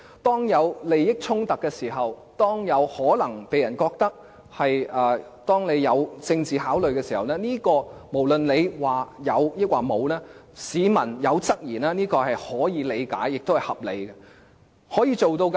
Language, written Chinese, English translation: Cantonese, 當出現利益衝突、有可能被人認為基於政治考慮時，無論它說有或沒有，市民提出質疑是可以理解和合理的。, When there are conflicts of interests which may be thought to have arisen from political considerations and no matter they have been denied or not it is understandable and reasonable that the public will have queries about them